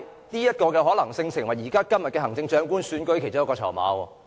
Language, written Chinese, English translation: Cantonese, 這項可能性亦成為現時行政長官選舉的其中一個籌碼。, The possibility of this is now a bargaining chip in the upcoming Chief Executive Election